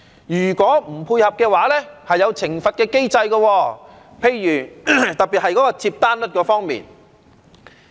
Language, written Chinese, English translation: Cantonese, 如果不配合，會有懲罰的機制，特別是接單率方面。, Failure to comply with all this will be subject to a penalty mechanism . One particular example is the order acceptance rate